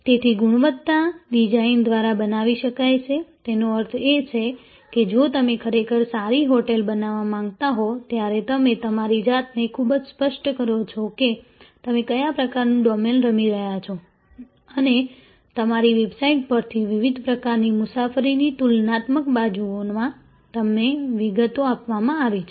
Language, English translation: Gujarati, So, quality can be created by design; that means, if you actually want to create a budget hotel, when you make yourself very clear that what kind of domain in which you are playing and from your website, from the way, you are details are provided in the various kinds of travel comparatives sides